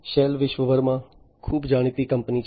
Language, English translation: Gujarati, Shell is a very well known company worldwide